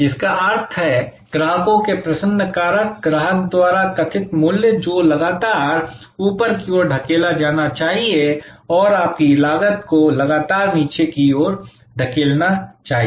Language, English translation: Hindi, That means, the delight factors of the customers, the value perceived by the customer, should be constantly pushed upwards and your cost should be constantly pushed downwards